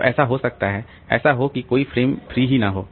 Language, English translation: Hindi, So, it may so happen that there is no frame free